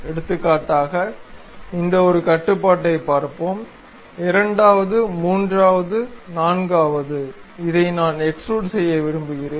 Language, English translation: Tamil, For example, let us look at this one control, second, third, fourth this is the thing what I would like to extrude